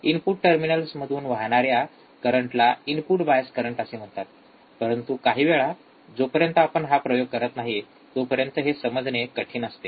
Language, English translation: Marathi, Flowing into the input terminals is called the input bias current, but sometimes it is difficult to understand until we really perform the experiment